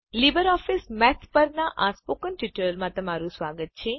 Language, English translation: Gujarati, Welcome to the Spoken tutorial on LibreOffice Math